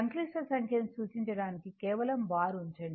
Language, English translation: Telugu, It just to represent complex number you put Z bar